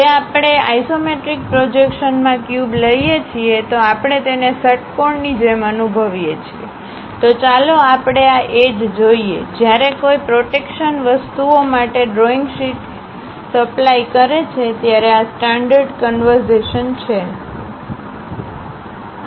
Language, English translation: Gujarati, If we are taking a cube in the isometric projection, we sense it like an hexagon; so, let us look at these edges; these are the standard conventions when one supplies drawing sheets for the protection thing